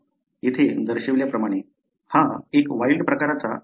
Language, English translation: Marathi, As is shown here, this is a wild type allele